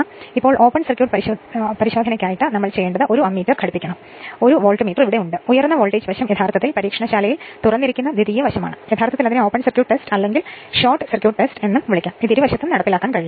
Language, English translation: Malayalam, Now, for open circuit test, what we have to do is you nee[d] you have to connect 1 ammeter; 1 Voltmeter is there and secondary side that high voltage side actually remain open actually in the laboratoryactually its open circuit test or short circuit test whatever it is; it can be performed on either side right